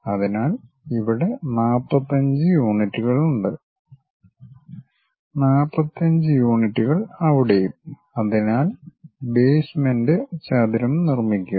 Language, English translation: Malayalam, So, whatever 45 units we have here here 45 units there, so 45 units 45 units and construct the basement rectangle